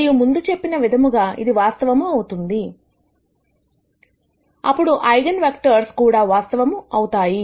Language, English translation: Telugu, And as I mentioned before if this turns out to be real, then the eigenvectors are also real